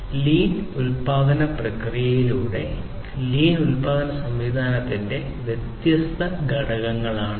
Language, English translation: Malayalam, These are the different components of the lean production process, lean production system